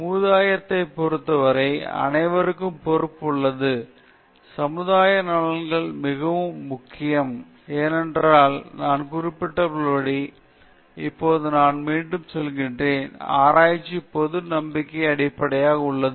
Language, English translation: Tamil, We all have responsibilities towards the society, and social benefits are very important, because, as I mentioned and I repeat now, research is based on public trust